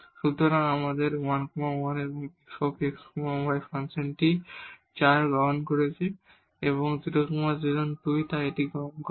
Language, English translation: Bengali, So, at 1 1 the function f x y is taking value 4 and 0 0 is taking 2 and so on